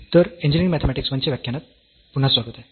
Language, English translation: Marathi, So, welcome back to the lectures on Engineering Mathematics I